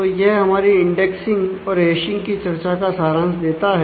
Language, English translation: Hindi, So, this summarizes our discussions on indexing and hashing